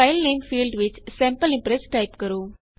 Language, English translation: Punjabi, In the filename field type Sample Impress